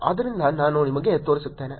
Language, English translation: Kannada, So let me show you